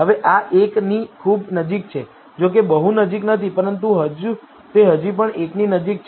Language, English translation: Gujarati, Though not very close, but it is still closer to 1